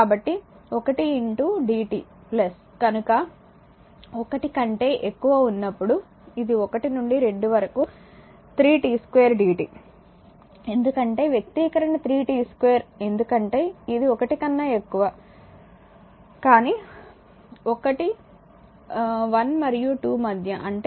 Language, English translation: Telugu, So, one into dt plus that it is greater than one therefore, it is one to 2 3 t square dt because expression is 3 t square it is greater than 1, but you one in between 1 and 2; that means, this 3 t square d dt